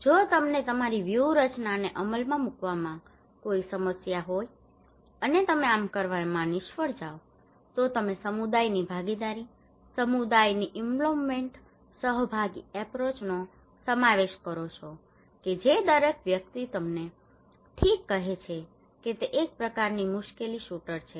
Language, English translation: Gujarati, If you have any problem to implement your strategies and plan you fail to do so, you incorporate community participations, involvement of community, participatory approach that is everybody who tell you okay it is a kind of trouble shooter